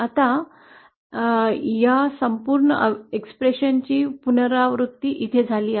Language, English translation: Marathi, Now this whole expression is repeated here